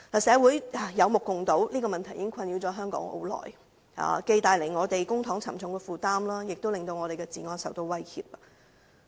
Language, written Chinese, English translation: Cantonese, 社會有目共睹，這問題已困擾了香港很久，既為公帑帶來沉重負擔，亦令我們的治安受到威脅。, As observed by everyone in society this problem has plagued Hong Kong for a long time bringing a heavy burden to bear on the public coffers and posing a threat to our law and order